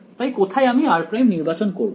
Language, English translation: Bengali, So, where can I choose my r prime